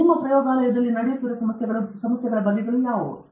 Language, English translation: Kannada, What are the kinds of problem which are going on in your laboratory